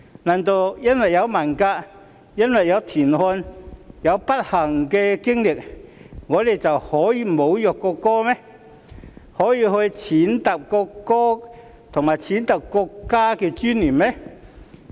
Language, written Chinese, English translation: Cantonese, 難道因為文革、因為田漢的不幸經歷，我們便可以侮辱國歌、踐踏國歌及國家的尊嚴嗎？, Does it mean that because of the Cultural Revolution and the ordeal of TIAN Han we can insult the national anthem and trample on the dignity of the national anthem and the country?